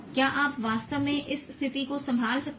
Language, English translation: Hindi, Can you really handle this situation